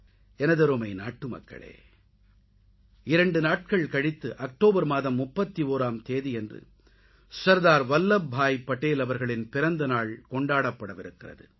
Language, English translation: Tamil, My dear countrymen, we shall celebrate the birth anniversary of Sardar Vallabhbhai Patel ji, two days from now, on the 31st of October